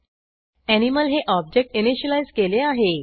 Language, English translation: Marathi, I have then initialized the object Animal